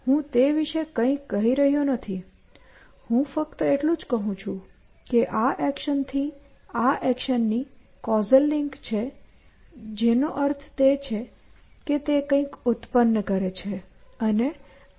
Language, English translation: Gujarati, So, I am not saying anything about that; all I am saying is that there is a causal link from this action to this action which means it is producing something which this is consuming